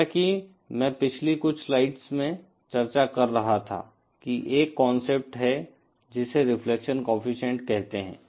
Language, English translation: Hindi, As I was discussing in the previous few slides that there is a concept called reflection coefficient